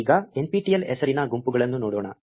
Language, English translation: Kannada, Now, let us look for groups named nptel